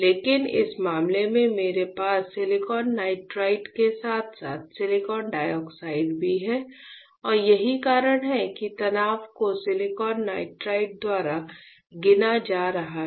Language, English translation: Hindi, But in this case I have you silicon nitride as well as silicon dioxide and that is why the stress is being counted by the silicon nitride alright